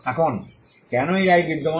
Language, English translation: Bengali, Now, why does this right exist